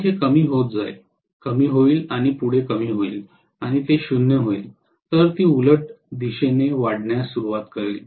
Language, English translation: Marathi, Then it is going to decrease, decrease and decrease further and it will become 0, then it will start increasing in the opposite direction